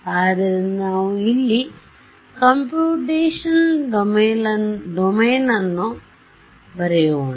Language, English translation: Kannada, So, let us also draw computational domain over here